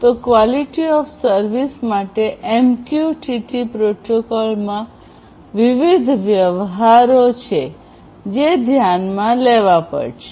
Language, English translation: Gujarati, So, for QoS of MQTT protocol there are different transactions that will have to be taken into consideration